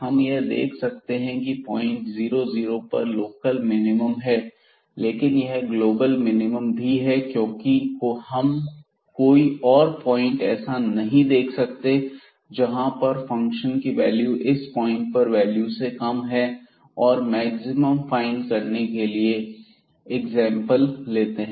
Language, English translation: Hindi, 00 that is local minimum, but that will be also a global minimum because we do not see any other point where the function will take a smaller value than this point and to find the maximum for example